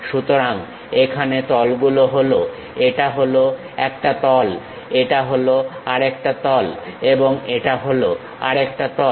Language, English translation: Bengali, So, here the faces are; this is one face, this is the other face and this is the other face